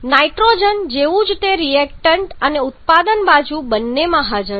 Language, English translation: Gujarati, Quite similar to nitrogen it is present in both reactant and product side